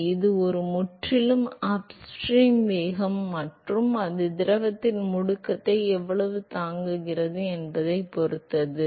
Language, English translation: Tamil, So, it completely depends upon the upstream velocity and how much it is able to bare the acceleration of the fluid